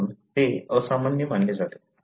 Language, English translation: Marathi, Therefore, that is considered as abnormal